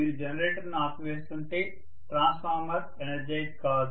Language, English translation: Telugu, If you are shutting down the generator then the transformer will not be energized